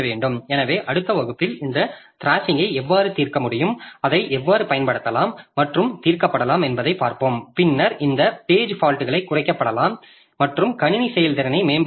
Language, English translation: Tamil, So, in the next class we'll see how this thrashing can be solved, how it can be used for, how it can be solved and then this number of page faults can be reduced and system performance can be improved